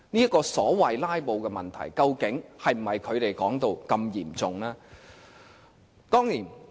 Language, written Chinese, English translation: Cantonese, 這個所謂"拉布"的問題，究竟是否如他們所說般嚴重呢？, Is the so - called filibustering problem really as serious as what they have claimed?